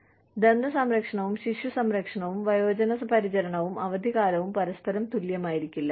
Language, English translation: Malayalam, So, dental care, and child care, and elderly care, and vacations, may not be at par, with each other